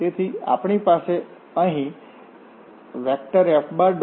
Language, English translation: Gujarati, So, here we have F1